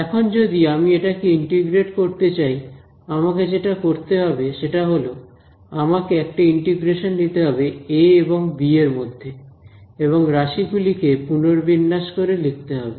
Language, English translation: Bengali, Now if I want to integrate this so what I am going to do is let us say I do an integral from a to b and just rearrange the terms ok